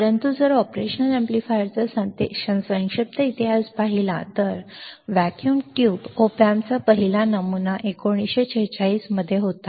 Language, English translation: Marathi, But if you see the brief history of operational amplifiers the first pattern of for vacuum tube op amp was in 1946, 1946